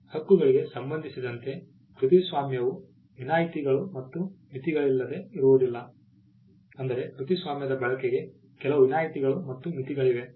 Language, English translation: Kannada, As a right copyright is not without exceptions and limitations; there are certain exceptions and limitations to the use of a copyright